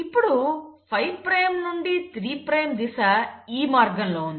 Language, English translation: Telugu, Now here the 5 prime to 3 prime direction is going this way